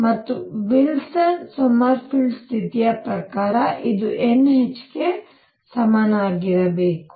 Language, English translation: Kannada, And according to Wilson Sommerfeld condition this must equal n h